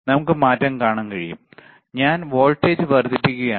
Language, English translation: Malayalam, We can see the change; I am increasing the voltage, right